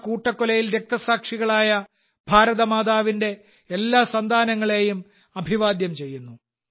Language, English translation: Malayalam, I salute all the children of Ma Bharati who were martyred in that massacre